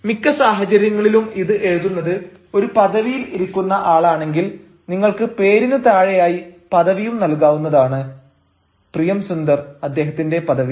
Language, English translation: Malayalam, in many cases, if you feel that it is being written ah by a person who has got a designation and all you can also mention below the name of this, priyam sunder, his designation and whatsoever